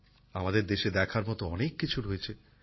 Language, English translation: Bengali, There is a lot to see in our country